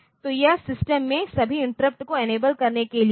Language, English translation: Hindi, So, this is the enable this is for enabling all the interrupts in the system